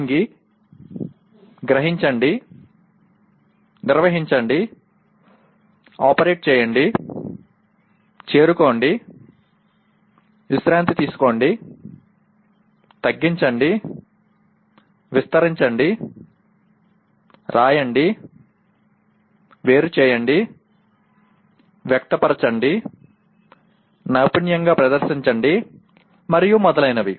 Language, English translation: Telugu, Bend, grasp, handle, operate, reach, relax, shorten, stretch, write, differentiate, express, perform skillfully and so on